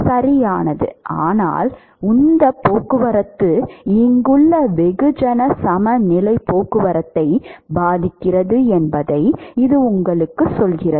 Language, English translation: Tamil, Correct right, but this one tells you that momentum transport affects the mass balance mass transport here